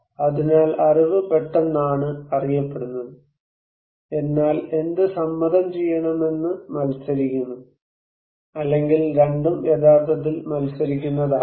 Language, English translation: Malayalam, So, knowledge is known sudden but what to do consent is contested or it could be that also both are actually contested